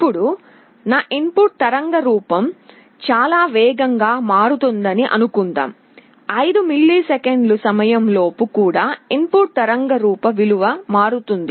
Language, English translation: Telugu, Now, suppose my input waveform is changing very rapidly, even within the 5 millisecond time the value of the input waveform is changing